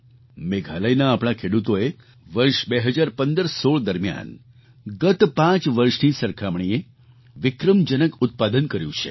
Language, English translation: Gujarati, Our farmers in Meghalaya, in the year 201516, achieved record production as compared to the last five years